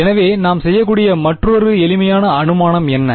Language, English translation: Tamil, So, what is another simplifying assumption we could do